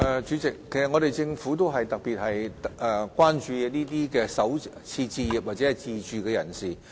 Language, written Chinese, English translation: Cantonese, 主席，政府特別關注首次置業自住人士。, President the Government is particularly concerned about first - time owner - occupiers